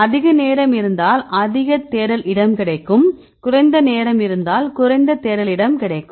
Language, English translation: Tamil, If you have more time then you can search more space if less time we will get less search space